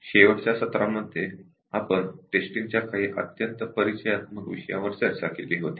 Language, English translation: Marathi, In the last session, we had discussed about some very introductory topics in Testing